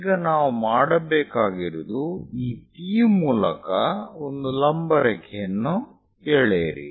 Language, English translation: Kannada, Now what we have to do is, draw a vertical line through this P